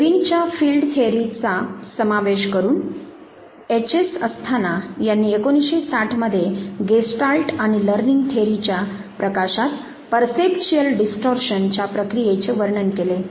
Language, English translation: Marathi, Incorporating Lewins field theory, H S Asthana in 1960 he described the process of percepetual distortion in the light of gestalt and learning theories